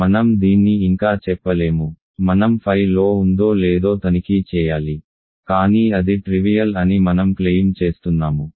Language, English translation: Telugu, So, I cannot yet say this, right, I have to check phi is on to, but I claim that is trivial because if ok